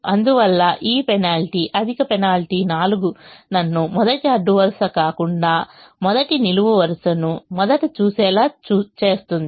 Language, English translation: Telugu, therefore, this penalty, higher penalty of four, makes me look at the first column first and not the first row